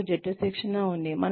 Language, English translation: Telugu, We have team training